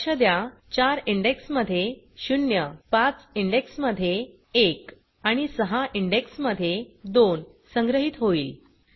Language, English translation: Marathi, Note that 4 will be store at index 0, 5 will be store at index 1 and 6 will be store at index 2 Then we print the sum